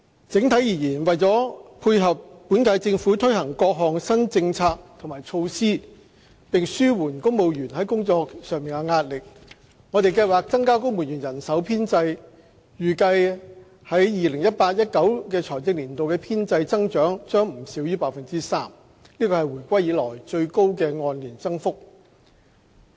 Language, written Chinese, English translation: Cantonese, 整體而言，為了配合本屆政府推行各項新政策和措施，並紓緩公務員的工作壓力，我們計劃增加公務員人手編制，預計在 2018-2019 財政年度的編制增長將不少於 3%， 是回歸以來最高的按年增幅。, Overall to tie in with various new policies and initiatives that the Government of the current term will implement in addition to alleviating the pressure at work borne by civil servants we are seeking an increase in the civil service establishment . It is estimated that the growth of the civil service establishment in the fiscal year 2018 to 2019 will be not less than 3 % which is the highest year - on - year growth since the reunification